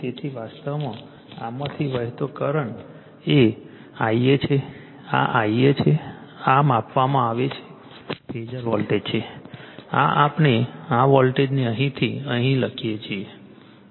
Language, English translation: Gujarati, So, current flowing through this actually , current flowing through this , is your I a this is your I a , this is the phasor at voltage measure this we write this voltage from here to here